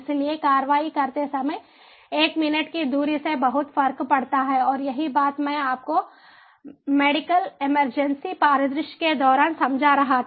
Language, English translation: Hindi, so a minute delay while taking an action makes a huge difference and this is what i was explaining to you during the medical emergency scenario